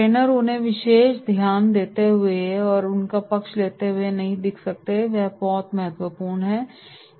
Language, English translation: Hindi, Trainer cannot appear to be giving them special attention or favouring them, this is very very important